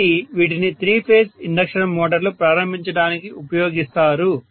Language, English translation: Telugu, So these are used for starting three phase induction motors, right